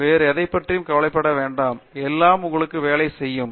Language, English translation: Tamil, Don’t worry about anything else; everything else will work out for you